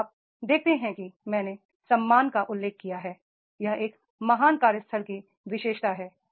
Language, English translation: Hindi, Now you see as I mentioned respect and regards, this is the very very fine characteristics of a great workplace